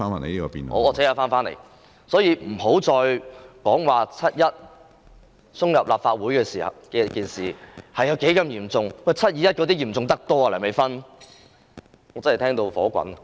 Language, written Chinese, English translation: Cantonese, 所以，不要再說7月1日闖入立法會大樓的事件有多麼嚴重，"七二一"事件比它嚴重得多，梁美芬議員。, Hence Dr Priscilla LEUNG should stop exaggerating the severity of the case in which people illegally entered the Legislative Council Complex on 1 July while the 21 July incident is much more serious than the case